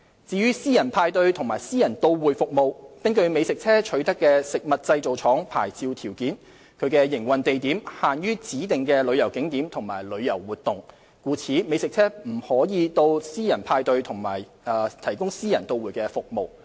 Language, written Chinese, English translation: Cantonese, 至於私人派對及私人到會服務，根據美食車取得的食物製造廠牌照條件，其營運地點限於指定的旅遊景點和旅遊活動，故此美食車不可到私人派對營運及提供私人到會服務。, The two locations are therefore not considered suitable to accommodate food trucks . With regard to private parties and private catering services food trucks are not allowed to operate in these areas since the licensing conditions of the Food Factory Licence have confined them to operate at designated tourism attractions and tourism activities